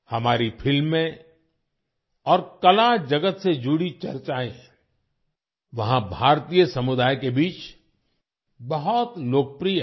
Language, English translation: Hindi, Our films and discussions related to the art world are very popular among the Indian community there